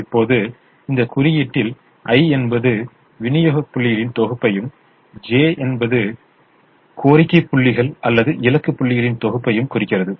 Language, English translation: Tamil, now, in this notation, i represents the set of supply points and j represents the set of demand points or destination points